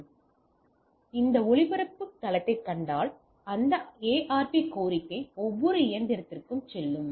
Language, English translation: Tamil, So, if you see that broadcast domain without VLAN, that ARP request goes to the every machine